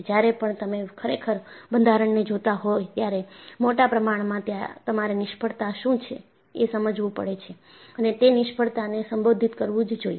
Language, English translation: Gujarati, So, when you are really looking at structure, in the larger perspective, you will have to define, what the failure is and that failure, should be addressed